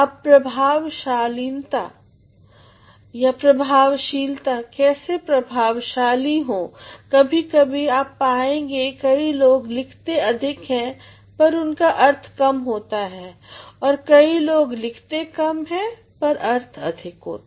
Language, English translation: Hindi, Now effectiveness, how to be effective sometimes you will find many people write too much and then less is meant, many people write less and more is meant